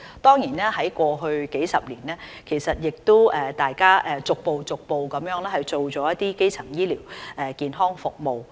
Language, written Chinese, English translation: Cantonese, 在過去數十年，大家逐步做了基層醫療健康服務。, Over the past few decades we have been progressively developing primary healthcare services